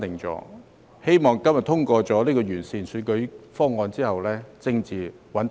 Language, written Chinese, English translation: Cantonese, 我希望今天通過有關完善選舉制度的《條例草案》後，政治亦會穩定。, I hope that upon the passage of the Bill today to improve our electoral system we will regain political stability too